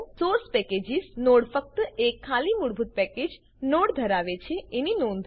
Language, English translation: Gujarati, Note that the Source Packages node contains only an empty default package node